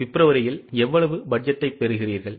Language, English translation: Tamil, How much budget you are getting for February